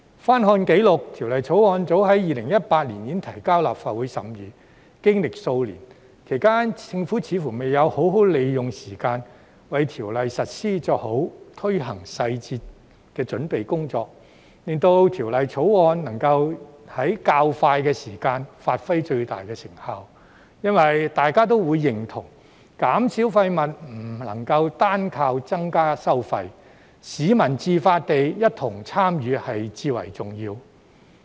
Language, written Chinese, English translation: Cantonese, 翻看紀錄，《條例草案》早在2018年已提交立法會審議，經歷數年，其間政府似乎未有好好利用時間，為條例實施作好推行細節的準備工作，令《條例草案》能在較快時間發揮最大的成效，因為大家都認同，減少廢物不能單靠增加收費，市民自發共同參與至為重要。, Having checked the records I realize that the Bill was presented to the Legislative Council as early as in 2018 . Several years have passed and it seems that the Government has not made good use of the time to make detailed preparation for the implementation of the Bill so that the Bill can achieve its maximum effect in a shorter time . We all agree that waste reduction cannot be accomplished by increasing the charges alone and it is most important for the public to participate on their own initiative